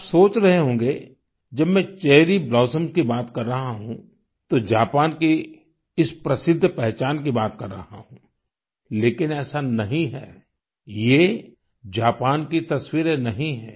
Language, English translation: Hindi, You might be thinking that when I am referring to Cherry Blossoms I am talking about Japan's distinct identity but it's not like that